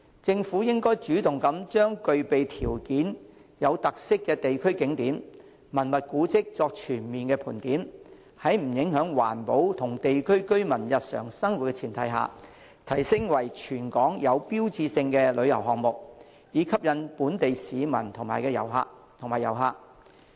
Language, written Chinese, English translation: Cantonese, 政府應主動把具備條件而且有特色的地區景點和文物古蹟作全面盤點，在不影響環保及地區居民日常生活的前提下，提升為全港具標誌性的旅遊項目，以吸引本地市民及遊客。, The Government should take the initiative to conduct a comprehensive stock - taking exercise for all local scenic spots and cultural relics with characteristics across the territory so that they can be developed into iconic tourist spots to attract both local residents and overseas visitors on the premise that the environment as well as the livelihood of residents in the communities will not be affected